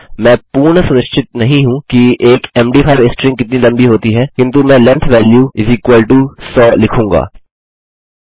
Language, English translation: Hindi, I am not exactly sure how long an md5 string is, but I will say length value = 100